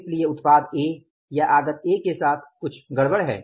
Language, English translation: Hindi, So, there is something wrong with the product A or the input A